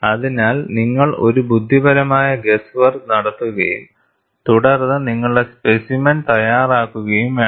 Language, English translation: Malayalam, So, you have to make a intelligent guess work and then prepare your specimen